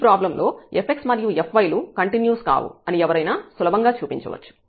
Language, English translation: Telugu, And one can easily show that f x and f y are not continuous for this problem as well